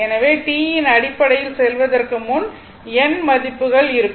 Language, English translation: Tamil, So, if you have some n such value before going to the in terms of T